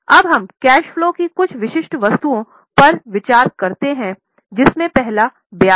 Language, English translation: Hindi, Now let us consider some specific items in the cash flow of which the first one is interest